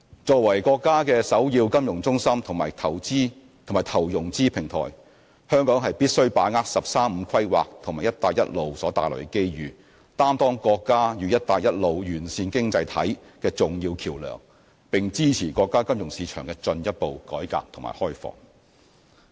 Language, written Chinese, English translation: Cantonese, 作為國家的首要金融中心及投融資平台，香港必須把握"十三五"規劃及"一帶一路"所帶來的機遇，擔當國家與"一帶一路"沿線經濟體的重要橋樑，並支持國家金融市場的進一步改革和開放。, As the countrys foremost financial centre and investment and financing platform Hong Kong should grasp the opportunities brought by the National 13 Five - year Plan and the Belt and Road Initiative perform the role as an important bridge linking China and other Belt and Road economies and support the further reform and opening up of the financial markets in the Mainland